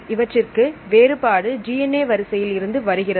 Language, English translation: Tamil, So, difference mainly comes from the DNA sequence right